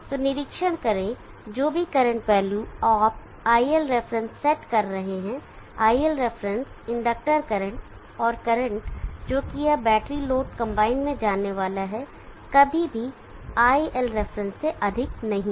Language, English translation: Hindi, So observe that what are our current value you are setting iLref, iLref the inductor current and the current that this is going to be the battery load combine never exceeds the iLref